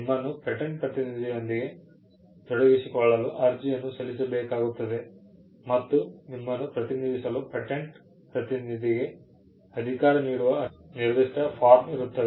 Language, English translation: Kannada, To engage a patent agent, you will have to file an authorization; there is a particular form by which you can authorize a patent agent, to represent you